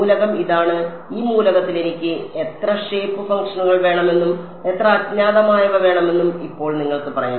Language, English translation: Malayalam, The element is this, now you can say in this element I want how many shape functions, how many unknowns